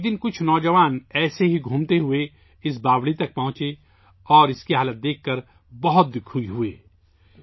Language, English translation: Urdu, One day some youths roaming around reached this stepwell and were very sad to see its condition